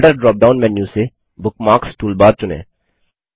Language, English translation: Hindi, From the Folder drop down menu, choose Bookmarks toolbar